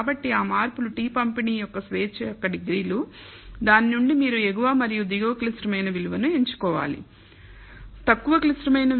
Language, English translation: Telugu, So, that changes is the degrees of freedom of the t distribution from which you should pick the upper and lower critical value